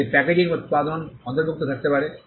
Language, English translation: Bengali, It can include packaging material